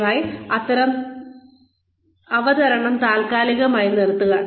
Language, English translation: Malayalam, Please, pause the presentation